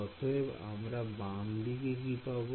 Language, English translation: Bengali, So, what is the left hand side